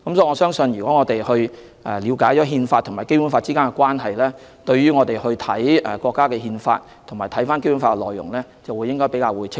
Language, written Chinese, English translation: Cantonese, 我相信，如果我們了解《憲法》和《基本法》之間的關係，當閱讀國家的《憲法》及《基本法》的內容時，便會更為清晰。, I believe if we understand the relationship between the Constitution and the Basic Law it will be easier for us to understand when we read the Constitution and the Basic Law